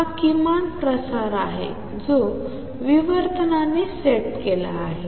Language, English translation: Marathi, So, this is the minimum spread that is set by the diffraction